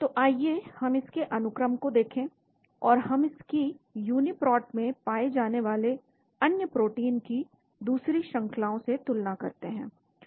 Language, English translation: Hindi, So let us look at the sequence of this, and we will make a comparison of other sequences of other protein that are found in the Uniprot